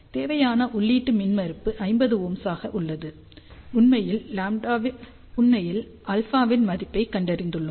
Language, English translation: Tamil, So, for the desired input impedance which is 50 ohm, we have actually found out the value of alpha